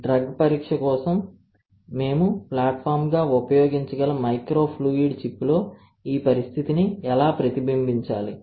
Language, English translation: Telugu, How to replicate this condition on to the microfluidic chip such that we can use the platform for drug screening